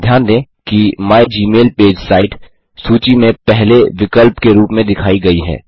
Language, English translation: Hindi, Notice that the site mygmailpage is displayed as the first option on the list